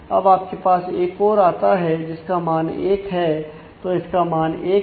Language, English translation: Hindi, So, now, you get another which is value 1; so, its value is 1